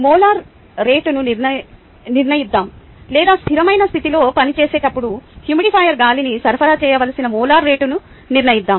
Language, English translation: Telugu, let us determine the molar rate at which, or determine the molar rate at which, air should be supplied to the humidifier when it operates at steady state